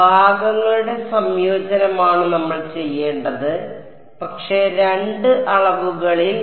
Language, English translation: Malayalam, So, integration by parts is what we will have to do, but in two dimensions